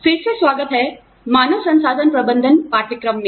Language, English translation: Hindi, Welcome back, to the course on, Human Resource Management